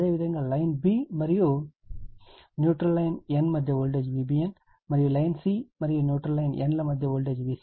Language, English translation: Telugu, Similarly, V b n voltage between line b and neutral line n, and V c n voltage between line c and neutral line n right line right a n, b n, c n